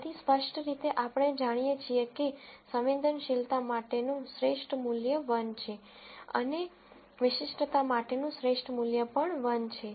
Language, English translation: Gujarati, So clearly, we know that the best value for sensitivity is 1 and the best value for specificity is also 1